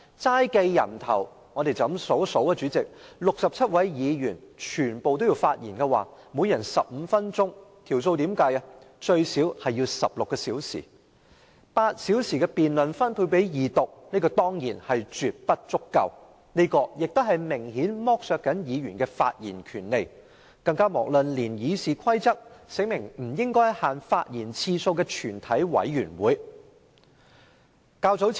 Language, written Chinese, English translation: Cantonese, 單計人數，若67位議員全部發言，每人15分鐘，最少也需要16小時，現時只分配8小時進行二讀辯論，絕不足夠，亦明顯剝削了議員的發言權利，更遑論《議事規則》訂明議員在全體委員會中不限發言次數了。, If all the 67 Members would speak and each of them would speak for 15 minutes it would at least take 16 hours . Now with only eight hours allocated for the Second Reading debate time is absolutely not enough and Members have been clearly deprived of their right to speak . We should also bear in mind that the Rules of Procedure provide that a Member may speak for an unlimited number of times in committee of the whole Council